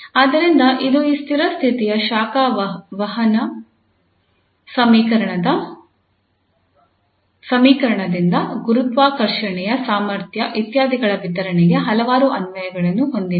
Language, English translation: Kannada, So it has several applications starting from this steady state heat conduction equation to the distribution of the gravitational potentials etcetera